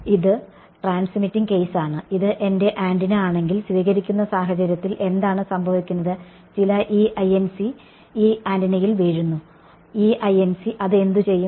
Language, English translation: Malayalam, So, that is transmitting case, in the receiving case what happens if this is my antenna what is happening some E incident is falling on it on this antenna, what will that E incident do